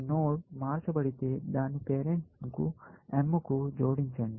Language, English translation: Telugu, If the node is changed, add its parent to m